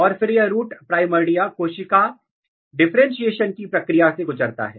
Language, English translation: Hindi, And then this root, root primordia undergo the process of cell differentiation